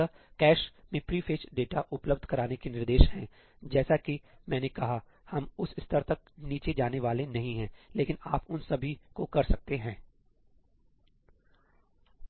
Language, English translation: Hindi, there are instructions available to pre fetch data into the cache, as I said, we are not going to go down to that level, but you can do all those